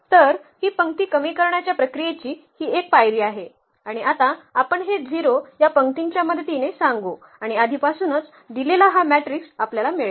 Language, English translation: Marathi, So, this is the one step of this row reduction process and now we will said this 0 with the help of this row 2 and we will get this matrix which is given already there